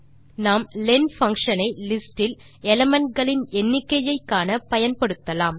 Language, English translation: Tamil, We can use len function to check the number of elements in the list